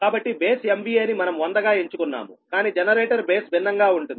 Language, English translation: Telugu, so base m v a: we have chosen hundred, but generator base different